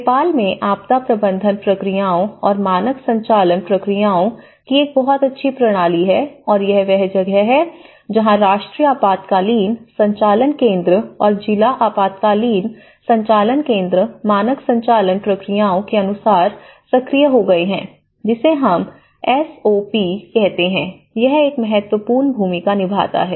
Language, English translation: Hindi, So, the Nepal has a very good system of the disaster management procedures and the standard operating procedures and this is where the National Emergency Operation Center and the District Emergency Operation Centers have been activated as per the standard operation procedures, which is we call SOP which plays an important role